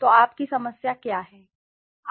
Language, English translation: Hindi, So what is your problem